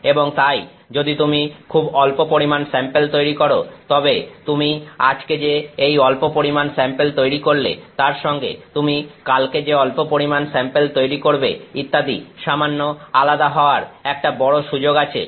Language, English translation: Bengali, And therefore, if you are making tiny quantities of a sample there is a greater chance that this tiny quantity, that you made today is slightly different from the tiny quantity you made tomorrow and so on